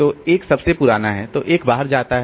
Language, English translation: Hindi, So, when 3 comes, so you see that 1 is the oldest one